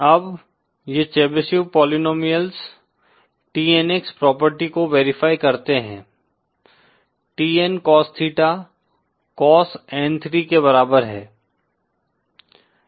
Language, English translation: Hindi, Now these Chebyshev polynomials they verify the property TNX, TN Cos theta is equal to cos N3